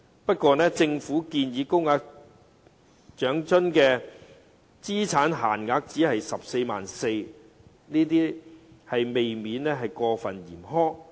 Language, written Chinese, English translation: Cantonese, 不過，政府建議高額長生津的資產限額只是 144,000 元，這未免過分嚴苛。, However the asset limit for the higher rate of OALA proposed by the Government is only 144,000 . This is a bit too harsh